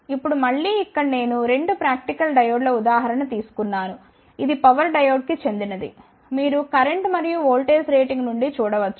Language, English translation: Telugu, Now, again here I have taken the example of 2 practical diodes, this one belongs to the power diode you can see from the current and the voltage rating